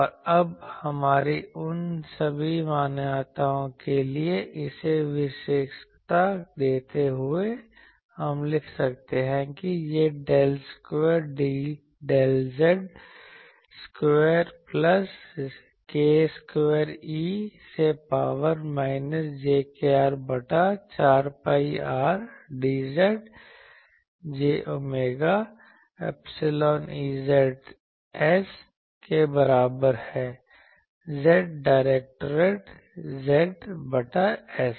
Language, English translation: Hindi, And, now specializing these for our all those assumptions, we can write that this is del square del z square plus k square e to the power minus j k R by 4 pi R d z dashed is equal to j omega epsilon E z s from Z directed Z by s